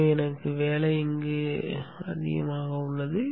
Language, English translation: Tamil, So I have the workspace